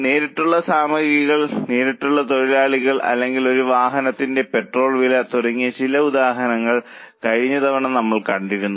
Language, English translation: Malayalam, Last time we had seen some examples like direct material, direct labor or petrol cost for a vehicle